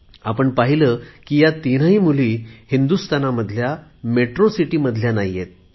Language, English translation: Marathi, You must have noticed that all these three daughters do not hail from metro cities of India